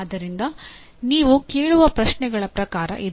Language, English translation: Kannada, So that is the type of questions that you would ask